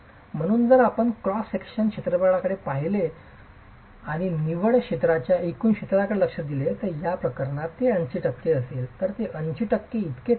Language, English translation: Marathi, So, if you were to look at the area of cross section and examine the net area to the gross area, in this case it would be of the order of 80%